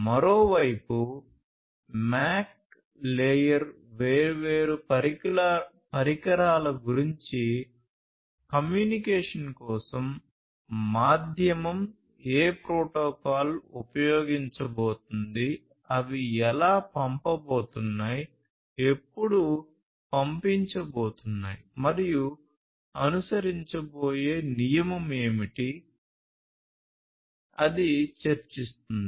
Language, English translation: Telugu, The MAC layer on the other hand talks about things like you know different devices trying to get access to the medium for communication, how, which protocol is going to be used, how they are going to send when they are going to send, what is the discipline that is going to be followed and so on